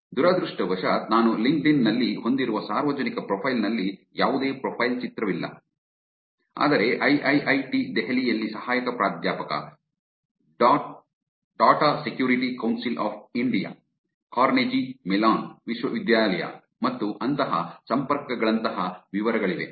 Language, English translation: Kannada, Unfortunately, in the public profile that I have on LinkedIn, there is no profile picture, but there are details like associate professor at Trupalite Delhi, Data Security Council of India, Carnegie Mellon University, and connections like that